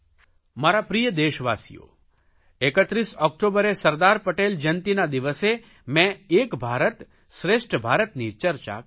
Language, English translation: Gujarati, My dear countrymen, on 31st October on the Anniversary of Sardar Patel I had discussed about "Ek Bharat Shreshtha Bharat" One India, Best India